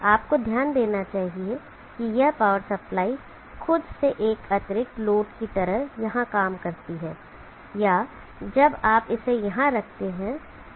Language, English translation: Hindi, You should note that this power supply itself acts as an additional load either here or when you put it here